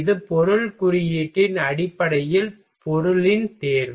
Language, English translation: Tamil, This is the selection of material based on the material index